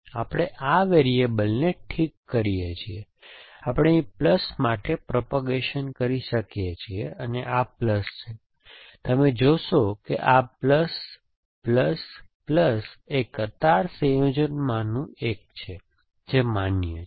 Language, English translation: Gujarati, So, we are, fix this variable we can propagate to plus here and this is plus you will see that this plus, plus, plus is the one of the queue combination that is allowed essentially